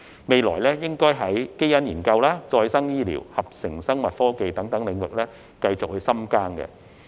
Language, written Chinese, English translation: Cantonese, 未來可在基因研究、再生醫療、合成生物科技等領域繼續深耕。, In the future we can continue to focus on the fields of genetic research regenerative medicine and synthetic biotechnology